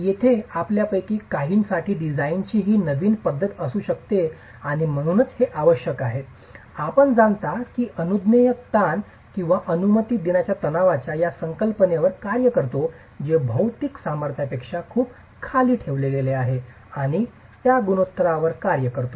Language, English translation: Marathi, Here, this may be a new method of design for few of you and hence it is essential that you understand that we work on this concept of permissible stresses or allowable stresses which are kept far below the material strength and we work on those ratios